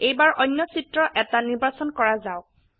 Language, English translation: Assamese, Let us select another image